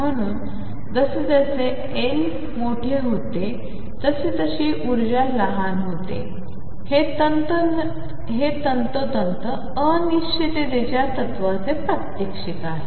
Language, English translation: Marathi, So, as L becomes larger the energy becomes smaller, this is precisely a demonstration of uncertainty principle